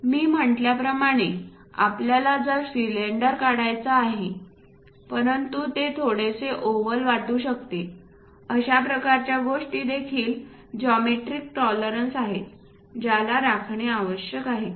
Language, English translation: Marathi, As I said we would like to draw ah we would like to prepare something like cylinder, but it might look like slightly oval, that kind of things are also geometric tolerances one has to maintain